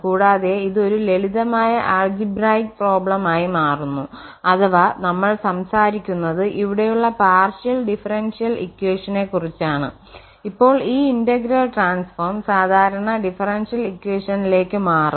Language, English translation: Malayalam, And it converts the problem to a simple problem either algebraic problem or we are talking about the partial differential equations there then this integral transform will convert to the ordinary differential equations